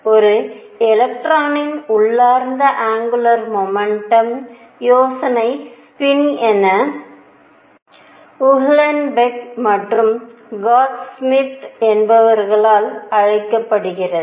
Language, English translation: Tamil, The idea of intrinsic angular momentum of an electron is called the spin was proposed by Uhlenbeck and Goudsmit